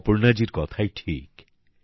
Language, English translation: Bengali, Aparna ji is right too